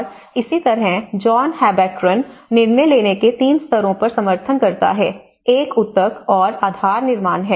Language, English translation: Hindi, And similarly, John Habraken supports on 3 levels of decision making; one is the tissue and the support which is the base building